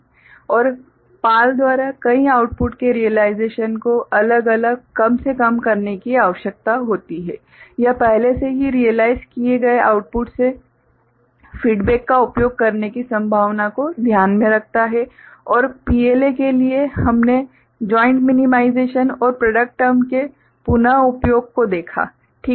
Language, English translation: Hindi, And realization of multiple outputs by PAL requires individual minimization, it takes into consideration the possibility of using feedback from an already realized output and for PLA, we considered joint minimization and reuse of product terms ok